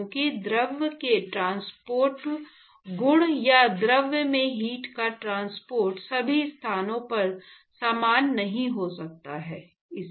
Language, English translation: Hindi, Because the fluid the transport properties or the heat transport in the fluid, may not be same at all the locations